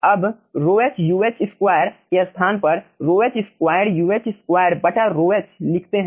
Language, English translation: Hindi, now, in place of rho h uh square, let us write down rho h square, uh square divided by rho h, right